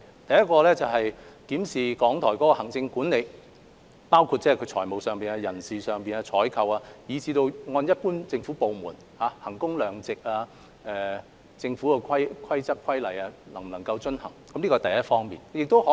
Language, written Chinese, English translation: Cantonese, 第一，檢視港台的行政管理，包括財務管制、人力資源管理和採購事宜，對港台作為一般政府部門，進行衡工量值式評估，檢視其能否遵行政府規則和規例。, First to review RTHKs administration including reviewing its financial control human resources management and procurement matters conducting value - for - money assessments on RTHK as an ordinary government department and reviewing whether it complies with government rules and regulations